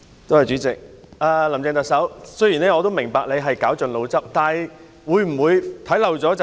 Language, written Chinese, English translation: Cantonese, 主席，特首，雖然我明白你已絞盡腦汁，但會否看漏眼？, President Chief Executive I understand that you have racked your brains but have you overlooked something?